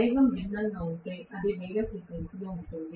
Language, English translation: Telugu, But it will be at a different frequency, if the speed is different